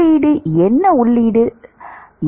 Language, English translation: Tamil, What is the input what is the input